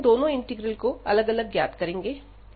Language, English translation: Hindi, Now, we will look at the second integral